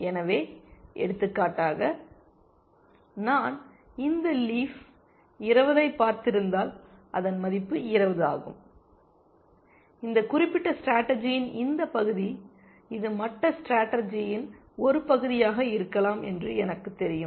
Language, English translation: Tamil, So, for example, if I have seen this leaf 20, its value is 20, I have, I know that this part of this particular strategy, it may be part of other strategies as well